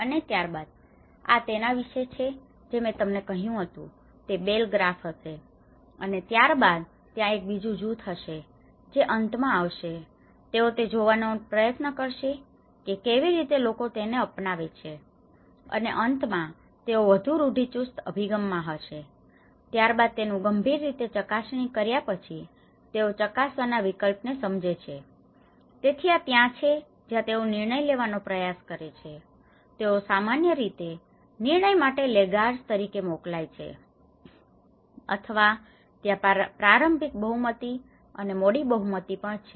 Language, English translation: Gujarati, And then this is what we said about is going to have a bell graph and then there is another group who comes at the end, they try to see at how people have adapted to it and then the finally, they are more in a conservative approach and these after having a serious testing of this understanding how this has been tested option, so that is where they try; then they try to decide upon it, they are referred normally as laggards, or there is also these early majority and the late majority